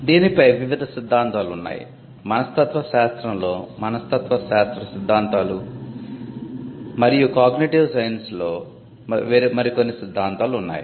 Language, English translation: Telugu, They were various theories on creativity you had psychology theories in psychology and theories in cognitive science as well